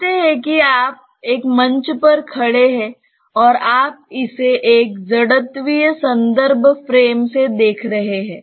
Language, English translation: Hindi, Say you are standing on a platform and you are looking into it from a inertial reference frame